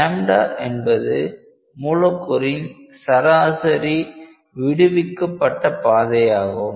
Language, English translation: Tamil, So, that is the molecular mean free path